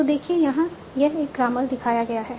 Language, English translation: Hindi, So this is one such grammar